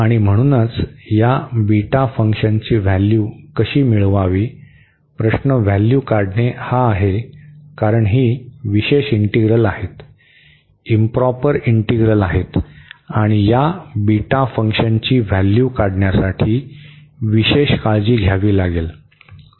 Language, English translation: Marathi, And so, how to evaluate this beta function; the question is the evaluation because these are the special integrals, improper integrals and special care has to be taken to evaluate this beta function